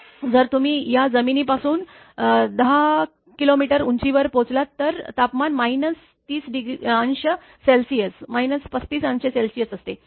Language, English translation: Marathi, If you reach your 10 kilometer above this thing ground temperature is minus 30 minus 35 degree Celsius